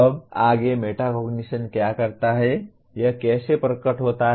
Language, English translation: Hindi, Now further what does metacognition, how does it manifest